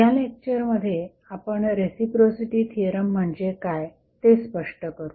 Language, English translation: Marathi, So, in this lecture we will explain what do you mean by reciprocity theorem